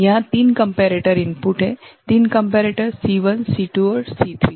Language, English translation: Hindi, There are 3 comparator inputs 3 comparators C1 C2 and C3 right